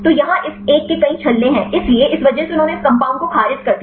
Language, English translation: Hindi, So, here this one is having many rings; so, because of that they rejected this compound